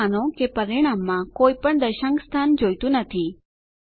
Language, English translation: Gujarati, Now suppose we dont want any decimal places in our result